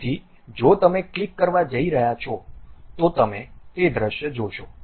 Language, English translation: Gujarati, So, if you are going to click that you are going to see that view